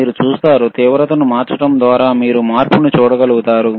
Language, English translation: Telugu, You see, by changing the intensity, you will be able to see the change